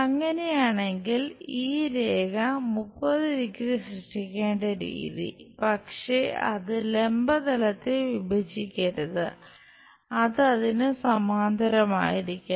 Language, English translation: Malayalam, If that is the case the way how this line is supposed to make 30 degrees, but it should not intersect vertical plane, it should be parallel to that